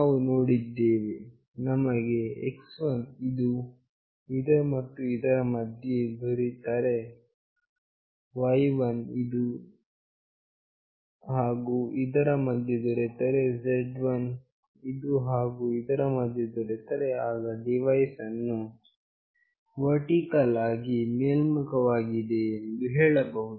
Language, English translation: Kannada, We have seen that when we are getting x1 between this and this, y1 between this and this, and z1 between this and this, then the devices is consider to be vertically up